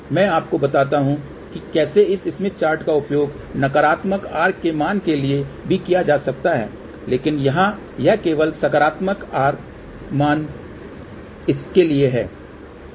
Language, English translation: Hindi, I will tell you how this smith chart can be use for negative r value also, but here it is only for the positive r value